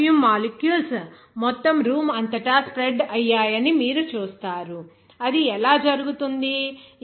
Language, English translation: Telugu, You will see that there will be spread of that perfume molecules throughout the whole room, how it can happen